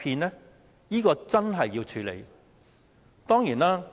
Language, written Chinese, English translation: Cantonese, 這是真正要處理的。, That is the issue that needs to be addressed